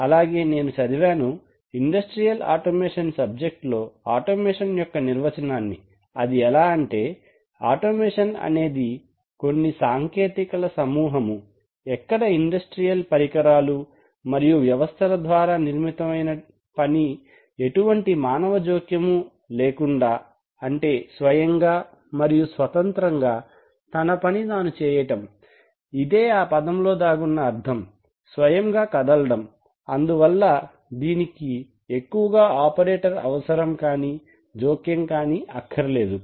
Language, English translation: Telugu, So the definition of automation says as I read is that industrial automation is a set of technologies that results in operation of industrial machines and systems without significant human intervention number one that is the meaning which is embedded in the term self moving so it does not require too much operator intervention